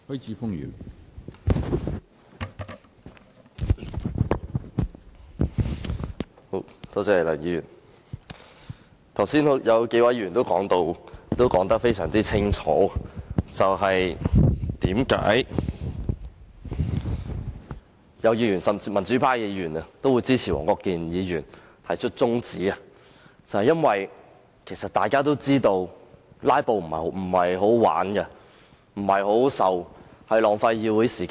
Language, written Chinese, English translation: Cantonese, 剛才已有數位議員表明，並清楚解釋為何支持黃國健議員提出的中止待續議案，甚至有民主派議員也表示支持，原因是大家都知道"拉布"並非好玩和好受的事情，而且浪費議會時間。, Just now a number of Members have stated and clearly explained why they support the adjournment motion moved by Mr WONG Kwok - kin . Even some Members from the pro - democracy camp have also indicated support . The reason is that as known to all filibustering is neither fun nor pleasurable and is a waste of the Councils time